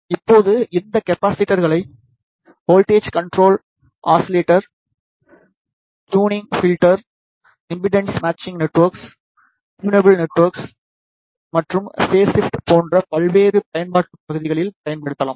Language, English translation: Tamil, Now, these capacitors can be used in variety of application areas like, voltage control oscillator, tunable filters, tunable networks, impedance matching networks and phase shifters in